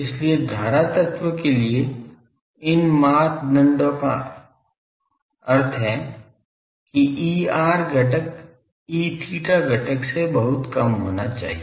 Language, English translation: Hindi, So, for current element these criteria means the E r component should be much much less than E theta component